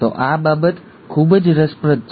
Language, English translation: Gujarati, So, this is something very interesting